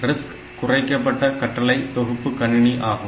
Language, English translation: Tamil, So, RISC architecture means that reduced instruction set computers